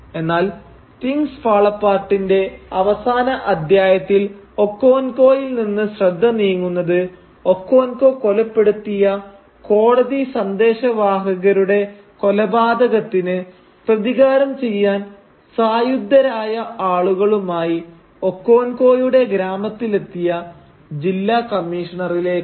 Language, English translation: Malayalam, However, in the last chapter of Things Fall Apart the focus moves from Okonkwo to the District Commissioner who arrives at Okonkwo’s village with armed men to avenge the killing of his court messenger whom Okonkwo, if you remember, had killed